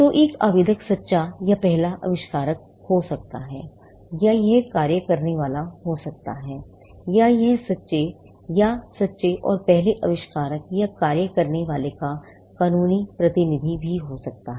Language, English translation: Hindi, So, an applicant can be the true or first inventor, or it can be assignee, or it could also be a legal representative of the true or true and first inventor or the assignee